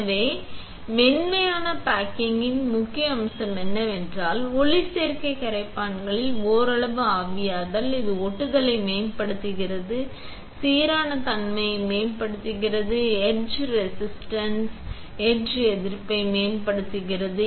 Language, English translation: Tamil, So, but the point of soft baking is, so that partially evaporation of photoresist solvents, it improves the adhesion, improves uniformity, improves etch wretching, etch resistance